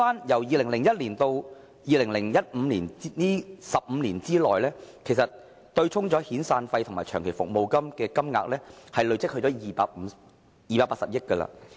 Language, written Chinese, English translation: Cantonese, 從2001年至2015年這15年內，被對沖的遣散費和長期服務金金額已累積至280億元。, During the 15 years from 2001 to 2015 the total amount of severance and long service payments offset reached 28 billion